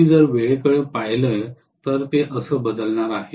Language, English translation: Marathi, If I look at time this is how it is going to change